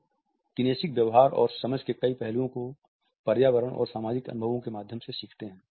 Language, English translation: Hindi, Many aspects of our kinesic behavior and understanding are learned through environmental and social experiences